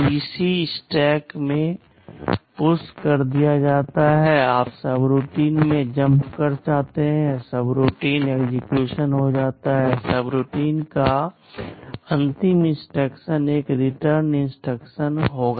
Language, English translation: Hindi, The PC is pushed in the stack, you jump to the subroutine, subroutine gets executed, the last instruction of the subroutine will be a return instruction